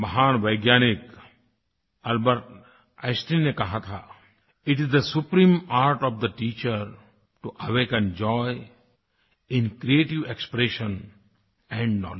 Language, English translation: Hindi, The great scientist Albert Einstein said, "It is the supreme art of the teacher to awaken joy in creative expression and knowledge